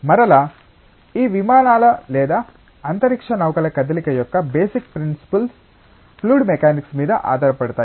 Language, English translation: Telugu, And again the very basic principles of motion of these aircrafts or spacecrafts rely on fluid mechanics